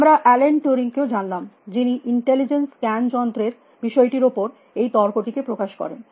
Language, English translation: Bengali, We also met Alan Turing, who sort of try to put down this debate on, what is intelligence scan machine things